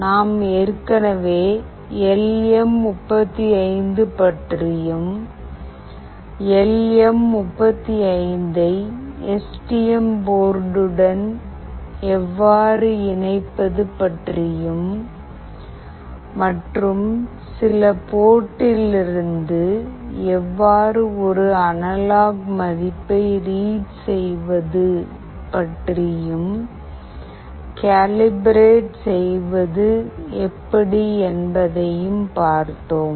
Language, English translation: Tamil, I have discussed about LM35, how do we connect LM35 with STM and how do we read an analog value from certain port and also how do we calibrate